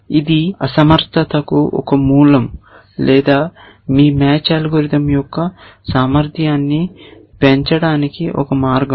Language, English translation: Telugu, So, this is one source of inefficiency or one avenue for increasing the efficiency of your match algorithm